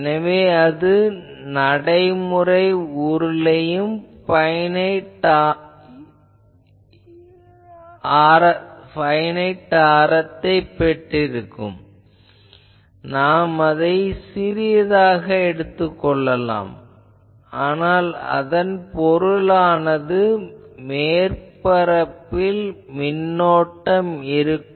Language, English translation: Tamil, So, any practical cylinder will have a finite radius I can keep it small, but that means on the surface there will be currents